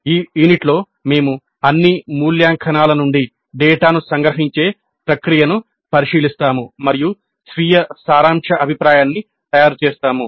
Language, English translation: Telugu, In this unit we look at the process of summarization of data from all evaluations and the preparation of summary feedback to self